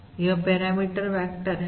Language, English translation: Hindi, this is the vector